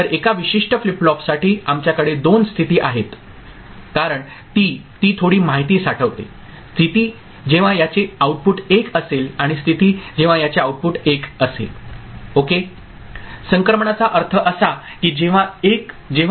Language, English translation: Marathi, So, for a particular flip flop we have got a one I mean, two states because, it has it stores one bit information; state when it is the output is 1 and state when the output is 0 ok